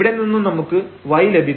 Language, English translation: Malayalam, So, it means y is equal to 0